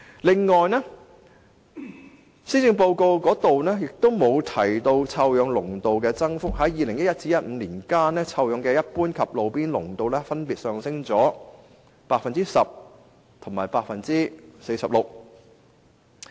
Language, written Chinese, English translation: Cantonese, 在2011年至2015年間，一般監測站及路邊監測站錄得的臭氧濃度分別上升 10% 及 46%。, During the period from 2011 to 2015 general stations and roadside stations respectively recorded a 10 % and 46 % increase of ozone concentration